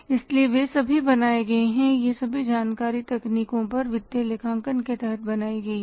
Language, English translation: Hindi, So, they all are created, all this information is created under the techniques of financial accounting